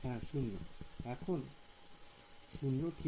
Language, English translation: Bengali, Still 0 right